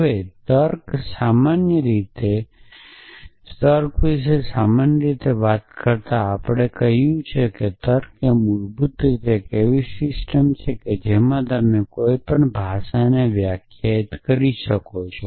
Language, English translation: Gujarati, Now, talking about generally about logic as we said that logic is basically a system in which you define a language